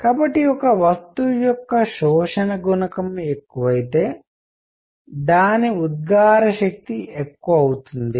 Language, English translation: Telugu, So, higher the absorption coefficient of a body, larger will be its emissive power